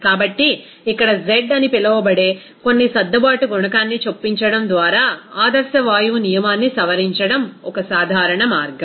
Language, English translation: Telugu, So, one common way is to modify that ideal gas law by inserting some adjustable coefficient that is called z here